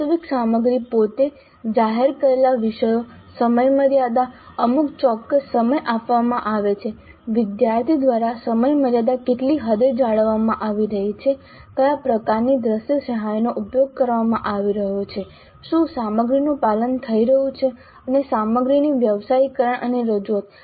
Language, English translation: Gujarati, And then the actual content itself, the topics announced the timeframe given certain amount of time to what extent the timeframe is being maintained by the student, then what kind of visual aids are being used, then whether the content compliance is happening and professionalism of content and presentation